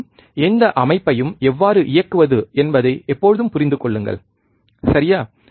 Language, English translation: Tamil, Again, always understand how to operate any system, right